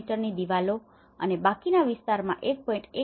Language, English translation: Gujarati, 7 meters in the bedrooms and 1